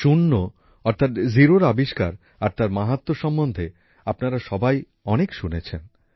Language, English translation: Bengali, You must have heard a lot about zero, that is, the discovery of zero and its importance